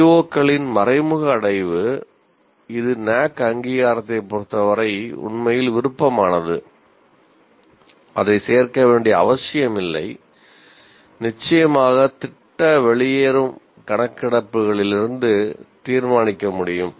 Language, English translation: Tamil, Now indirect attainment of COs, which is actually is optional as far as NAAC accreditation is concerned, one need not include that, can be determined from the course exit surveys